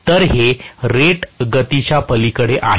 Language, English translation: Marathi, So, this is beyond rated speed